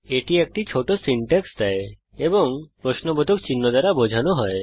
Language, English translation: Bengali, It Provides a short syntax and is denoted by a question mark